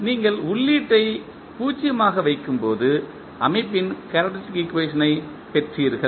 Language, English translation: Tamil, When you put the input as 0, so you got the the characteristic equation of the system